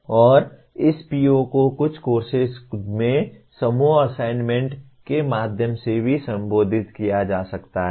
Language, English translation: Hindi, And this PO can also be addressed through group assignments in some courses